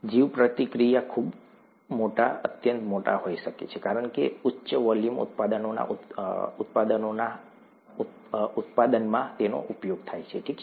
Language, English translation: Gujarati, Bioreactors could be very large, extremely large because of the use in production of high volume products, okay